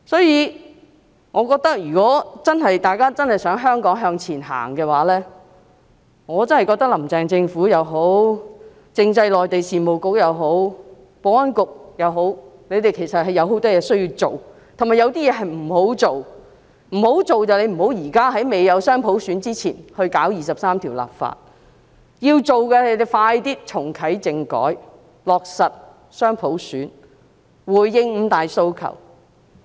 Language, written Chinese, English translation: Cantonese, 如果大家真的想香港向前行，我真的覺得，"林鄭"政府也好，政制及內地事務局也好，保安局也好，他們有很多工作需要做，但亦有些事是不應做的，不應在未有雙普選前進行《基本法》第二十三條立法，要做的是盡快重啟政改，落實雙普選，回應五大訴求。, If you really want Hong Kong to move forward I really think the Carrie LAM Government the Constitutional and Mainland Affairs Bureau or the Security Bureau has to undertake a lot of work and at the same time there are some work that should not be done . They should not legislate for Article 23 of the Basic Law before dual universal suffrage is implemented . Instead they should reactivate constitutional reform implement dual universal suffrage and address the five demands